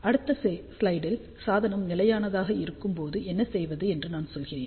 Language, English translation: Tamil, And in in the next slide, I am going to tell you what to do when the device is stable